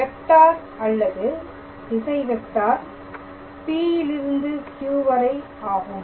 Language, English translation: Tamil, So, the vector or the direction vector is P to Q alright